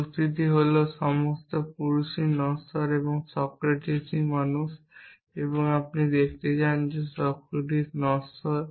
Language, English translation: Bengali, The argument was all men are mortal, Socratic is the man and you want to show that Socratic is mortal